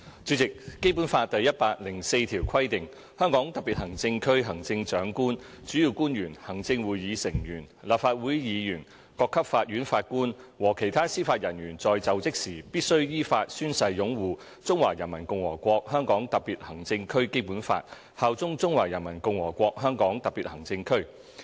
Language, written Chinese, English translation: Cantonese, 主席，《基本法》第一百零四條規定︰"香港特別行政區行政長官、主要官員、行政會議成員、立法會議員、各級法院法官和其他司法人員在就職時必須依法宣誓擁護中華人民共和國香港特別行政區基本法，效忠中華人民共和國香港特別行政區。, President Article 104 of the Basic Law provides that [w]hen assuming office the Chief Executive principal officials members of the Executive Council and of the Legislative Council judges of the courts at all levels and other members of the judiciary in the Hong Kong Special Administrative Region must in accordance with law swear to uphold the Basic Law of the Hong Kong Special Administrative Region of the Peoples Republic of China and swear allegiance to the Hong Kong Special Administrative Region of the Peoples Republic of China